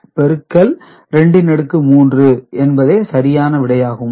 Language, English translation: Tamil, So, this into 2 to the power 3 is same as this number right